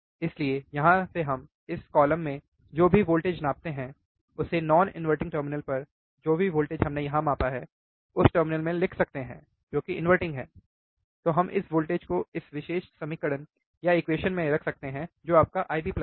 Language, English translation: Hindi, So, from here we can write whatever the voltage we measured in this column, at non inverting terminal whatever voltage we have measured here in the in terminal which is inverting, then we can put this voltage in this particular equation which is your I B plus